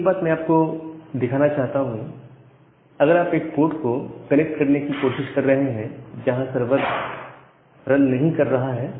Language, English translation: Hindi, And well one thing that I wanted to show that if you try to connect to a port, where the server is not running